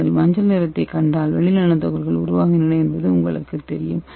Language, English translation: Tamil, And you have to mix it vigorously then if you see the yellow color that means you are sure that the silver nano particle is formed